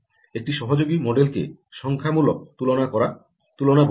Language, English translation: Bengali, only one association model is called numeric comparison